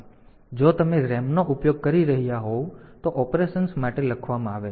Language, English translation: Gujarati, So, if you are using RAM then for write for operations